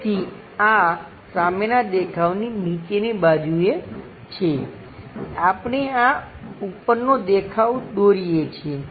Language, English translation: Gujarati, So, this is the front view bottom side we are supposed to draw this top view